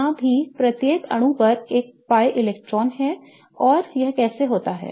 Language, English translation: Hindi, It also has a pi electron on each atom and how is that